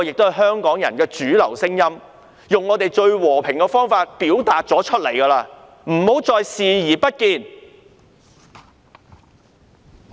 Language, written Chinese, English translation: Cantonese, 這是香港人的主流聲音，而我們已經用最和平的方法表達出來，請她不要繼續視而不見。, This is the mainstream voice of the Hong Kong people and we have expressed it in the most peaceful way . I ask her not to disregard such voice